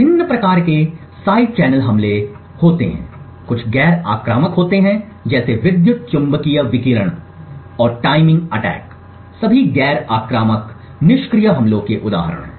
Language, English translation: Hindi, There are different types of side channel attacks some are non invasive like the power electromagnetic radiation and the timing attacks are all examples of non invasive passive attacks